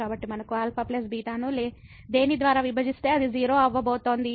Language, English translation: Telugu, So, we have alpha plus beta divided by something which is going to